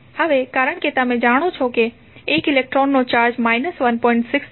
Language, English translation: Gujarati, Now,since you know that the charge of 1 electron is 1